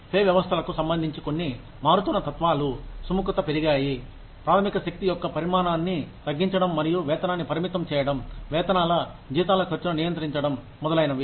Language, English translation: Telugu, Some changing philosophies, regarding pay systems are, the increased willingness, to reduce the size of the workforce, and to restrict pay, to control the cost of wages, salaries, etcetera